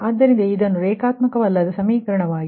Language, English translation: Kannada, so this is your non linear equation now